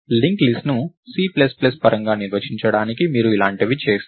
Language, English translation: Telugu, So, to define linked list in a C plus plus way, you would do something like this